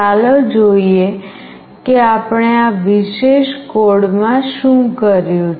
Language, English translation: Gujarati, Let us see how we have done in this particular code